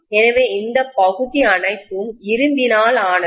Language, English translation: Tamil, All the shaded regions are made up of iron, right